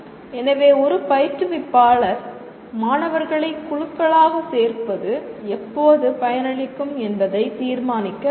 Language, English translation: Tamil, So an instructor will have to decide when actually when is it beneficial to put students into groups